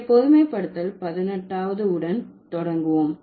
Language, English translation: Tamil, So, that is the 18th generalization